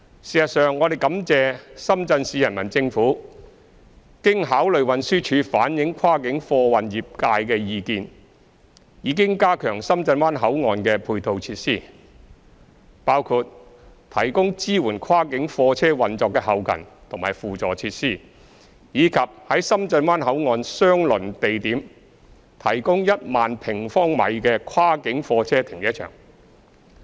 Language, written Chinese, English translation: Cantonese, 事實上，我們感謝深圳市人民政府經考慮運輸署反映跨境貨運業界的意見，已經加強深圳灣口岸的配套設施，包括提供支援跨境貨車運作的後勤及輔助設施，以及在深圳灣口岸相鄰地點提供1萬平方米的跨境貨車停車場。, We are honestly grateful to the Shenzhen Municipal Peoples Government for enhancing the auxiliary facilities of Shenzhen Bay Port after considering the views expressed by the cross - boundary cargo industry through TD including the provision of back - end and ancillary facilities to support the operation of cross - boundary goods vehicles and a cross - boundary goods vehicle holding area with a size of 10 000 sq m in the close vicinity of Shenzhen Bay Port